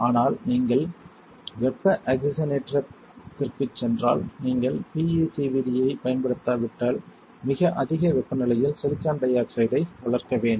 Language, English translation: Tamil, But if you do not use PECVD if you go for the thermal oxidation then you have to grow silicon dioxide at extremely high temperature